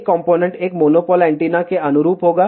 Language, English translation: Hindi, One component will correspond to one monopole antenna